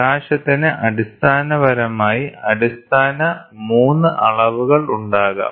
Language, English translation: Malayalam, So, in light, there are 3 basic dimensions of light